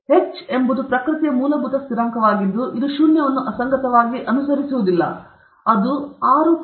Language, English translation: Kannada, Therefore, h is a fundamental constant of nature, which cannot asymptotically approach zero; it is 6